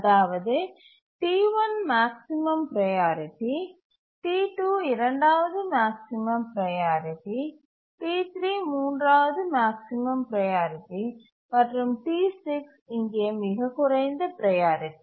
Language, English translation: Tamil, So that is T1 is the maximum priority, T2 is the second maximum, T3 is the third maximum, and T6 is the lowest priority here